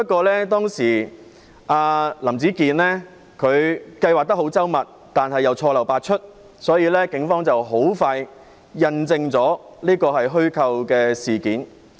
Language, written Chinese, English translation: Cantonese, 林子健計劃得很周密，但又錯漏百出，所以警方很快便印證這是虛構事件。, Howard LAM had a detailed plan but it was fraught with blunders . Thus the Police quickly proved that the incident was fabricated